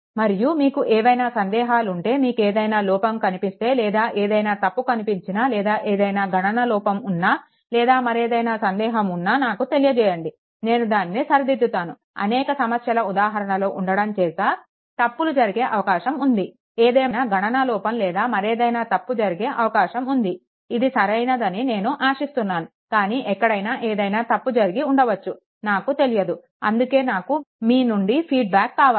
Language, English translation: Telugu, And if you have any, if you find any error or any any any error any calculation error or anything please let me know, then I can rectify myself because so many problems are there, there is possibility there is possibility that there may be an error in calculation and other thing I to hope it is correct, but may be somewhere something has gone something might have gone wrong also, I do not know